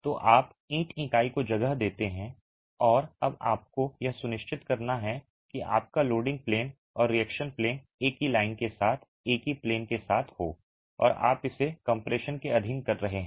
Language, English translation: Hindi, So, you place the brick unit and now you have to ensure that your loading plane and reaction plane are along the same line, along the same plane and you are subjecting into compression